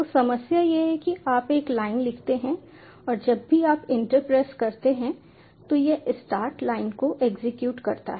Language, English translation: Hindi, so problem is you write one line and whenever you press enter it executes start line